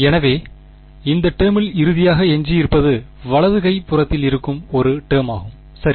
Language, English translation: Tamil, So, the final term that remains is this term on the right hand side ok